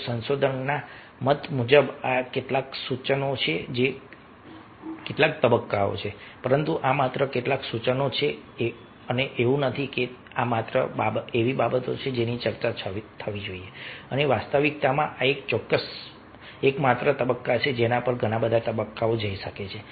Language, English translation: Gujarati, so, according to the, according to researcher, these are some suggestions, some stages, but these are just some suggestions and not the, not that these are the only things which should be discussed and these are the only stages